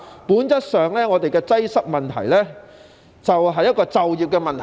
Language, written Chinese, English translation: Cantonese, 本質上，本港的交通擠塞問題正正是一個就業問題。, In Hong Kong the problem of traffic congestion is by its nature precisely an employment problem